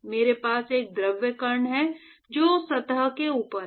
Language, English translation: Hindi, So, I have a fluid particle which is on top of that surface